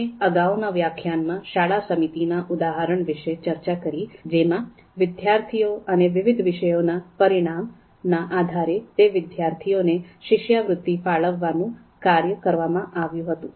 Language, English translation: Gujarati, So as we have talked about in the previous lecture, we discussed the particular example of a school committee given the task of allocating the scholarships to students based on their performance on various subjects